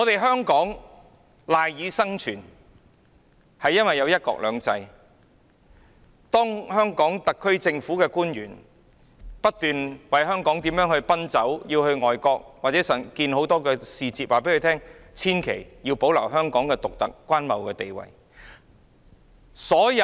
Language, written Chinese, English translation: Cantonese, 香港有"一國兩制"，特區政府官員不斷為香港奔走，到外國與很多使節會面，告訴他們必須保留香港的獨特關貿地位。, The SAR officials keep lobbying for Hong Kong saying that one country two systems is implemented in Hong Kong . They travel to overseas countries to meet many ambassadors telling them that they must maintain the independent trading status of Hong Kong